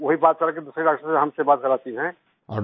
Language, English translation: Hindi, It talks to us and makes us talk to another doctor